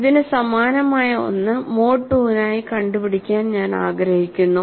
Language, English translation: Malayalam, Something similar to this I would like you to work it out for mode 2